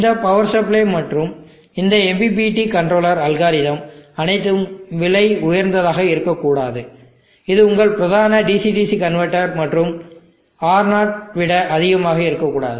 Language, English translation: Tamil, The cost of this power supply and all these MPPT controller algorithm should not be prohibitively high, should not be much higher than your main DC DC converter and R0